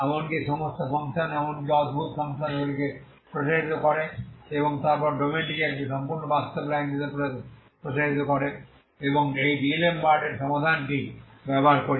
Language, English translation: Bengali, So in each case we simply extends the domain into extend all the functions involved even or odd functions and then extend the domain as a full real line and make use of this D'Alembert's solution and we find the solution so you have a solution, okay we have a solution